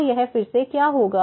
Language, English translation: Hindi, So, what will be this again